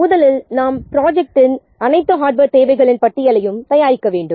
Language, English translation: Tamil, So, first we have to see, first we have to make or we have to prepare a list of all the hardware needs of the project